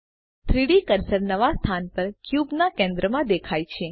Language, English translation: Gujarati, The 3D cursor snaps to the centre of the cube in the new location